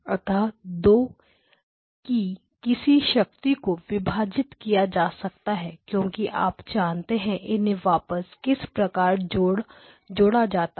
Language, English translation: Hindi, So, again any power of 2 you can split the signal and because you know how to recombine